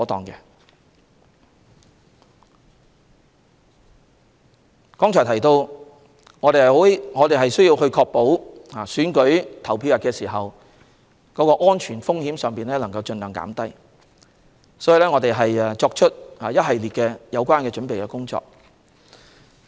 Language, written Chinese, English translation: Cantonese, 我剛才提到，我們需要確保選舉投票日的安全風險盡量減低，所以我們已進行一系列準備工作。, As I mentioned earlier we have to minimize the security risk on the polling day thus we have carried out a series of preparation work